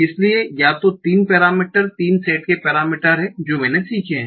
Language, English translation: Hindi, So these are the three parameters, three set of parameters that parameters I have to learn